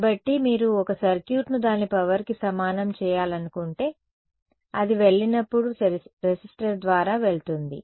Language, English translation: Telugu, So, this is like if you want to make a circuit equivalent of its like power that is going through a resistor once its goes its goes